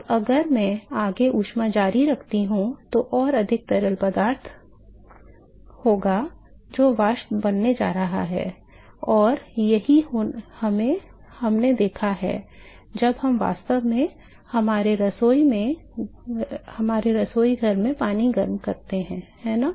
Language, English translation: Hindi, Now, if I continue to further heat will be more fluid, which is going to become vapor and that is what we have observed when we actually heat water in our kitchen, right